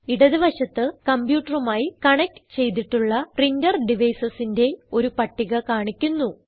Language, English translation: Malayalam, On the left hand side, a list of printer devices connected to the computer, is displayed